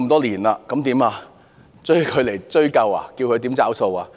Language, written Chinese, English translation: Cantonese, 難道要把她找出來追究，叫她"找數"嗎？, Can we hold her accountable and ask her to foot the bill now?